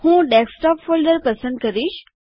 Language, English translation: Gujarati, I will choose the Desktop folder